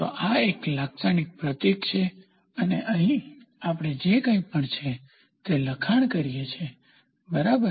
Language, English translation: Gujarati, So, this is a typical symbol and here we write down the magnitude value whatever it is, ok